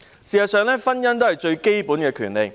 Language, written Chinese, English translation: Cantonese, 事實上，婚姻是最基本的權利。, In fact marriage is the most basic right